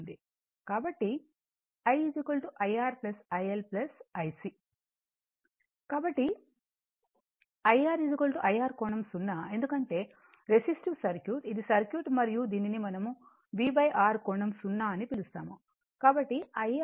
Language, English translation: Telugu, So, IR is equal so, i R angle 0 because,your resistive circuit this is your circuit and this is your this is your what we call V upon R angle 0